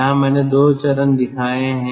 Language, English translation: Hindi, here i have shown two stages